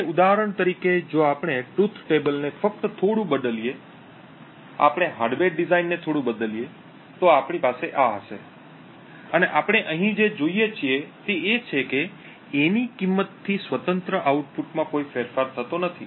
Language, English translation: Gujarati, Now for example if we just change the truth table a little bit we change the hardware design a little bit and we actually have this and what we see over here is that independent of the value of A there is no change in the output